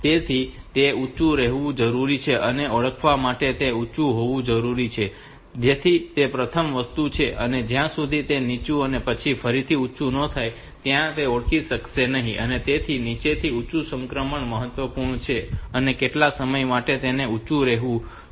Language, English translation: Gujarati, So, it needs to be high and stay high to be recognized so that is the first thing and once it is recognized it would not be recognized until it goes low and then high again, so there is low to high transition is important and it has to remain high for some times so that is also important